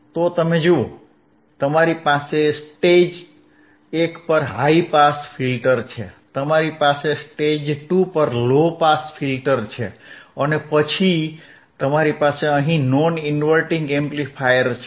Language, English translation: Gujarati, Y you have a low pass filter at stage 2, which is here, and then you have your inverting amplifier your non inverting amplifier here, right